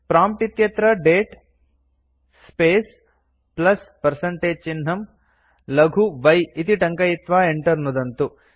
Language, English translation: Sanskrit, Type at the prompt date space plus percentage sign small y and press enter